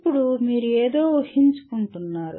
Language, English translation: Telugu, Then you are inferring something